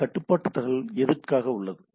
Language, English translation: Tamil, So, what is the control information primarily for